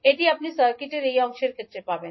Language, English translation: Bengali, So this you will get in case of this part of the circuit